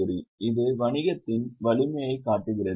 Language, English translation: Tamil, This shows the strength of business